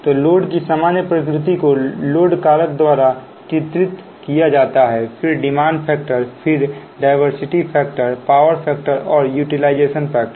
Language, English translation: Hindi, right next is that load characteristics, so general nature of load, is characterized by load factor, then demand factor, then diversity factor, power factor and utilization factor